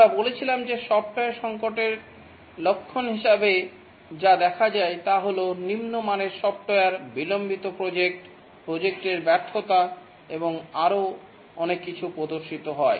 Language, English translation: Bengali, We said the software crisis as symptoms which show up as poor quality software, delayed projects, project failure, and so on, costly and so on